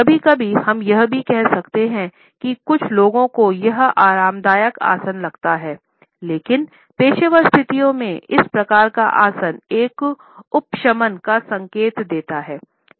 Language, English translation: Hindi, Sometimes we can also say that some people find it a comfortable posture, but in professional situations we find that this type of a posture indicates a subservience